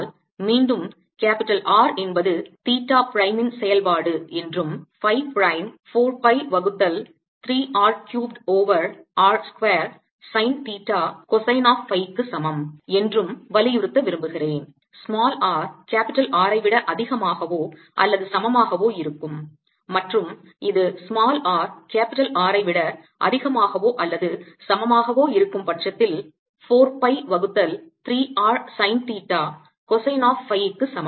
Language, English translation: Tamil, similarly, if i look at integration of sine theta prime, cosine phi prime over r minus r, again i want to emphasize that capital r is the function of theta prime and phi prime is equal to four pi by three r cubed over r square sine theta cosine of phi for r greater than or equal to r, and is equal to four pi by three r, sine theta, cosine of phi, for r less than or equal to r